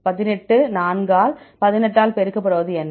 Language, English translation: Tamil, 18; what is 4 multiply by 18